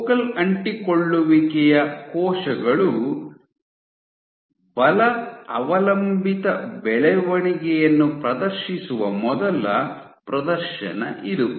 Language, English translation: Kannada, So, this was the first demonstration that cells where focal adhesions exhibit force dependent growth